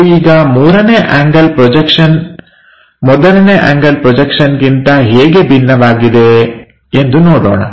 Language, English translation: Kannada, Let us look at how 3rd angle projection is different from 1st angle projection